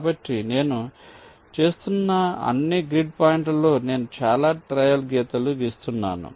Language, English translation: Telugu, so, across all the grid points i am doing this, i am drawing so many trail lines